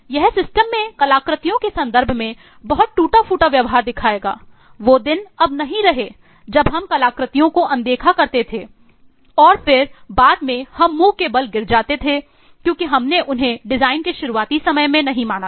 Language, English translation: Hindi, It will show lot of other fractured behavior in terms of artifacts in the system and eh gone of the day is when we use to ignore the artifacts and then later on fall flat on our face because we did not consider them at the very beginning at the time of design